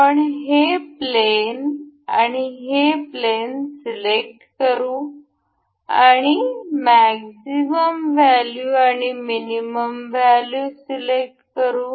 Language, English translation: Marathi, Let us just select this plane and this plane and will select a maximum value and a minimum value